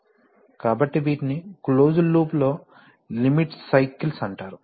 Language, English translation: Telugu, So, these are called limit cycles in the closed loop